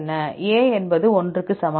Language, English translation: Tamil, A is equal to 1, plus I equal to